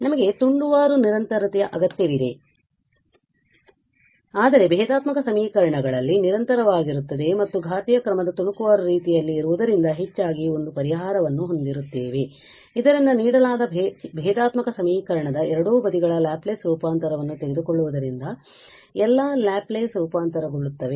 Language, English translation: Kannada, Indeed, we need piecewise continuity but in differential equations we most of the time we have a solution which is even continuous and of course of piecewise of exponential order so that all the Laplace transform when we are talking about taking the Laplace transform of both the sides of a given differential equation